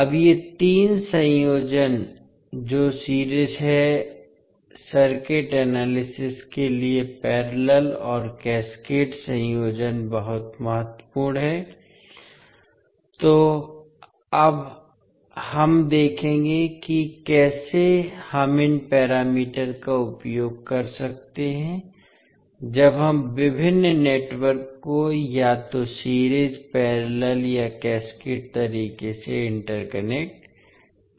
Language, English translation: Hindi, Now these 3 combinations that is series, parallel and cascaded combinations are very important for the circuit analysis, so we will see now how we can utilise these parameters when we interconnect the various networks either in series, parallel or cascaded manner